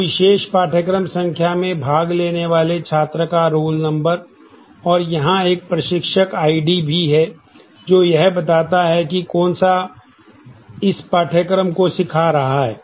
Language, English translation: Hindi, So, roll number of the student attending the particular course number and it also has an instructor I D as to who is teaching that course given this